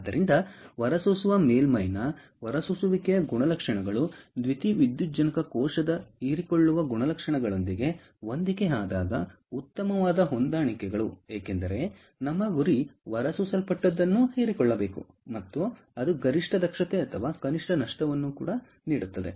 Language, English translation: Kannada, so the best matches when the emission characteristics of the emitter surface matches with the absorption characteristics of the photovoltaic cell, because our aim is whatever is emitted should be absorbed and that is what will give it the maximum efficiency or minimum losses